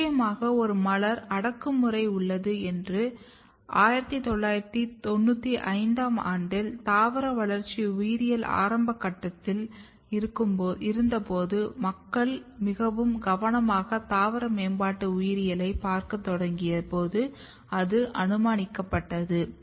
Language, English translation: Tamil, And definitely there is a floral repressor there is a strong this is the hypothesized when it was given in 1995 when the plant developmental biology was still at the early stage and people have started looking very carefully plant developmental biology